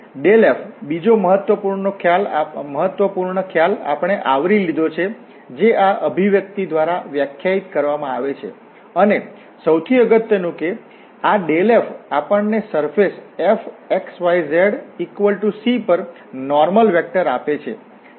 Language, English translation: Gujarati, And the grad f, another important concept we have covered which is defined by this expression, and most importantly, that this grad f gives us the normal vector to the surface f x, y, z is equal to C